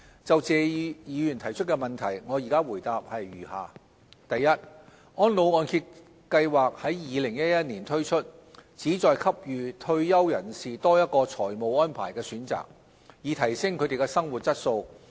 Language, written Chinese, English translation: Cantonese, 就謝議員的質詢，我現答覆如下：一安老按揭計劃於2011年年中推出，旨在給予退休人士多一個財務安排的選擇，以提升他們的生活質素。, I now reply Mr TSEs question as follows 1 The Reverse Mortgage Programme RMP was launched in mid - 2011 to provide retirees with an additional financial planning option to enhance their quality of life